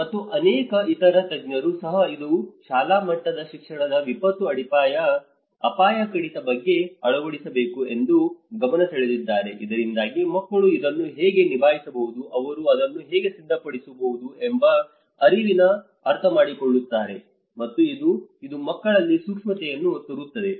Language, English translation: Kannada, And even many other experts have pointed out that this has to bring that a disaster risk reduction at a school level education so that children will understand the realization of how they can handle it, how they can prepare for it, and it also brings sensitivity among the kids